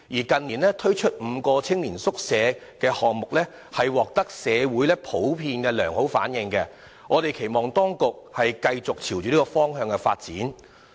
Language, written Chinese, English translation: Cantonese, 近年推出的5個青年宿舍計劃項目普遍獲得社會良好反應，我們因而期望當局繼續朝着這個方向發展。, The five Youth Hostel Scheme projects launched in recent years were generally well received by the community . We thus expect that the authorities will develop in this direction